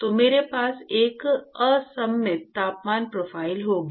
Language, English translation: Hindi, So, I will have an asymmetric temperature profile